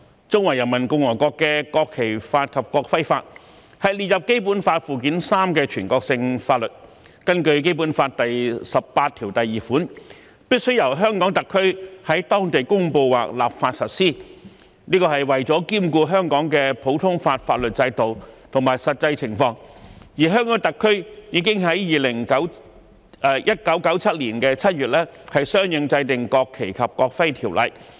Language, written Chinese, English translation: Cantonese, 中華人民共和國的《國旗法》及《國徽法》是列入《基本法》附件三的全國性法律，根據《基本法》第十八條第二款，必須由香港特區在當地公布或立法實施，這是為了兼顧香港的普通法法律制度及實際情況，而香港特區已於1997年7月相應制定《國旗及國徽條例》。, The National Flag Law and the National Emblem Law of the Peoples Republic of China are the national laws listed in Annex III to the Basic Law which according to the Article 182 of the Basic Law shall be applied locally by way of promulgation or legislation by the Hong Kong Special Administrative Region HKSAR in order to accommodate the common law system and the actual circumstances in Hong Kong at the same time . Accordingly HKSAR enacted the National Flag and National Emblem Ordinance NFNEO in July 1997